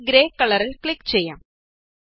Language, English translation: Malayalam, Let us click on Grey color